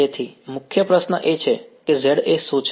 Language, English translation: Gujarati, So, the main question is what is Za